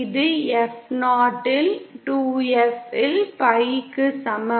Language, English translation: Tamil, And this is equal to pi upon 2 F upon F0